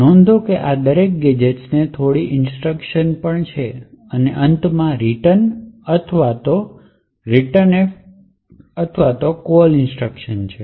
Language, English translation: Gujarati, Okay, so note that the each of these gadgets has a few instructions and then has a return or a returnf or call instruction at the end